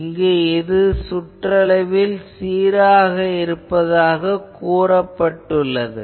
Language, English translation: Tamil, So, here it says that it is uniform circumferentially